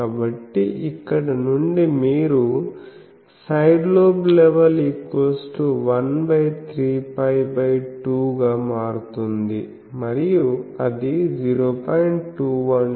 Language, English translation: Telugu, So, from here with this you can say SLL turns out to be 1 by 3 pi by 2 and that is 0